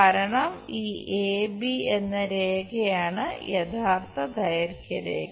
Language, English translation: Malayalam, Because this A B line is the true length line